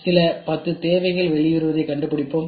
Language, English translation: Tamil, Then what we do we find out some 10 needs are coming out